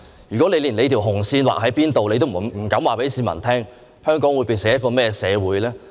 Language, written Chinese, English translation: Cantonese, 如果你連紅線劃在哪裏也不敢告訴市民，香港會變成一個怎麼樣的社會呢？, If you dare not tell the public where the red line is drawn what a society would Hong Kong become?